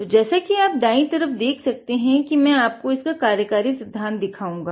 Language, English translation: Hindi, So, you can see on the right hand side, I will be showing the working principle of it